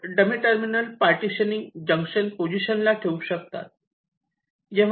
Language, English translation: Marathi, you introduce a dummy terminal at the partitioning junction